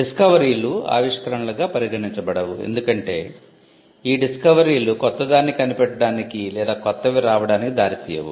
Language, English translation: Telugu, Discoveries are not regarded as inventions because discoveries do not lead to inventing or coming up with something new something existed, and you merely revealed it